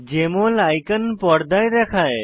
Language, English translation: Bengali, Jmol icon appears on the screen